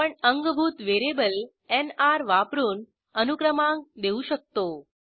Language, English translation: Marathi, We can also provide a serial number by using a builtin variable NR